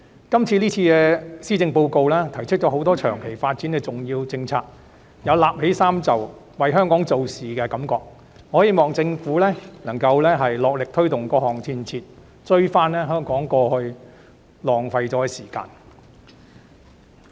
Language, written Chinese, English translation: Cantonese, 今次的施政報告提出了多項長期發展的重要政策，有捲起衣袖為香港做事的感覺，我希望政府能努力推動各項建設，追回香港過去耗掉的時間。, This time the Policy Address has put forward a number of important policy initiatives on long - term development giving the impression that the Government has rolled up its sleeves to do practical work for Hong Kong . I hope that the Government can recover the time we lost in the past by pressing ahead with various construction projects at full steam